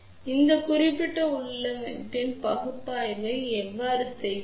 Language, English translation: Tamil, Now, how do we do the analysis of this particular configuration